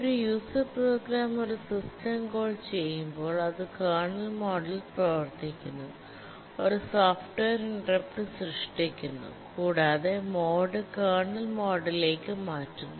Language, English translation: Malayalam, When a user program makes a system call, it runs in kernel mode, generates a software interrupt, changes the mode to kernel mode